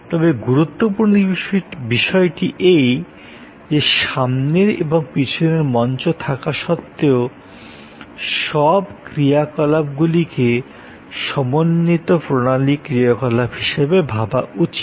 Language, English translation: Bengali, But, important point is, that even though there is this front stage and the back stage, it is in service very important to think of the whole set of activities as one integrated system activity